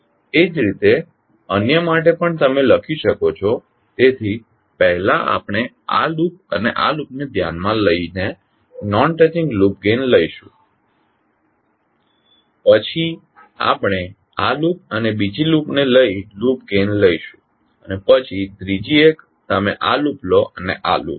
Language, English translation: Gujarati, Similarly, for others also you can write, so first we will take non touching loop gain by considering this loop and this loop then we take the loop gain by taking this loop and the other loop and then third one you take this loop and this loop